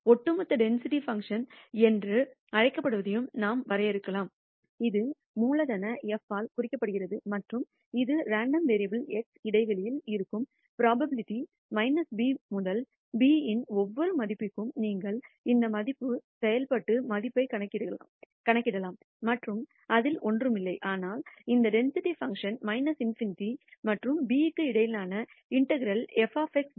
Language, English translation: Tamil, We can also define what is called the cumulative density function, which is denoted by capital F and this is the probability that the random variable x lies in the interval minus infinity to b for every value of b you can compute this value function value and this is nothing, but the integral between minus infinity and b of this density function f of x dx